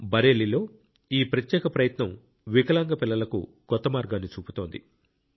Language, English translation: Telugu, This unique effort in Bareilly is showing a new path to the Divyang children